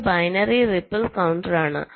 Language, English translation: Malayalam, this is binary counter